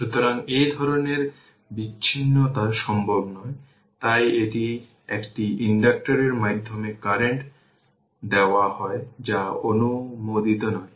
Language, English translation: Bengali, So, this kind of discontinuous not possible right so this is given current through inductor this is not allowed right